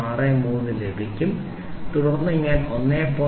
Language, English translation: Malayalam, 630 then I subtract 1